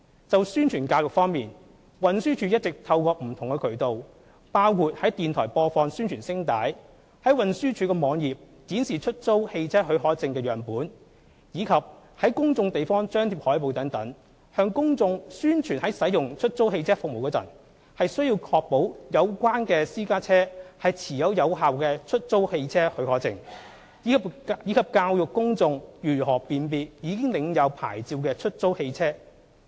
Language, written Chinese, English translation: Cantonese, 在宣傳教育方面，運輸署一直透過不同渠道，包括在電台播放宣傳聲帶、在運輸署網頁展示出租汽車許可證的樣本，以及在公眾地方張貼海報等，向公眾宣傳在使用出租汽車服務時，須確保有關私家車持有有效的出租汽車許可證，以及教育公眾如何辨別已領有牌照的出租汽車。, In respect of publicity and education campaigns the Transport Department TD has been making use of various channels including broadcasting announcements of public interest on radio displaying samples of HCPs on the TDs website and putting up posters in public places . These efforts serve to promote to the public that when they use hire car service they should ensure the private car concerned is issued with a valid HCP; and educate the public on how to identify licensed hire cars